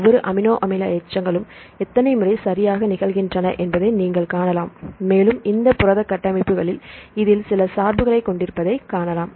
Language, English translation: Tamil, So, you can see the number of times each amino acid residue occur right and you can see this has some bias in this in the protein structures